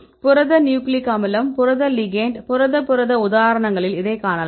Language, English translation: Tamil, You can see various examples say protein nucleic acid, protein ligand the Protein protein and so on